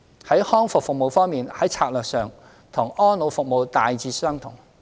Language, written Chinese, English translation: Cantonese, 在康復服務方面，在策略上與安老服務大致相同。, As for rehabilitation services the strategy adopted will be broadly similar to that for elderly care services